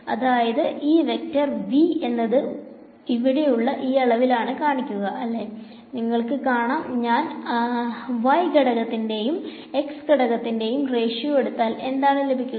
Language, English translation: Malayalam, So, this vector V over here is going to be given by this quantity over here right, you can see that if I take the ratio of the y component to the x component what do I get